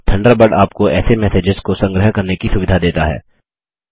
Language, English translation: Hindi, Thunderbird lets you archive such messages